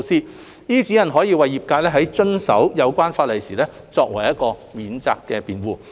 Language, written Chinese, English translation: Cantonese, 這些指引可為業界在遵守有關法例時作為免責辯護。, The guidelines can also be used as a defence by the sector in abiding by the concerned legislation